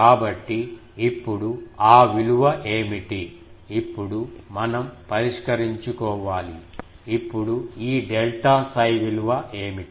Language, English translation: Telugu, So, now what is that value now we will have to solve, now what is the value of this delta psi